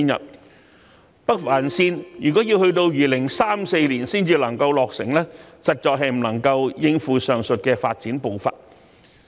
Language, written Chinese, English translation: Cantonese, 如果北環綫要到2034年才能夠落成，實在是不能夠應付上述的發展步伐。, If the Northern Link will only be completed in 2034 it will not be able to tie in with the above mentioned pace of development